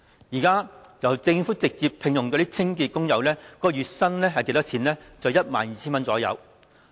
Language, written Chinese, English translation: Cantonese, 現在政府直接聘用的清潔工友月薪大約 12,000 元。, The monthly wage of cleaning workers directly employed by the Government is about 12,000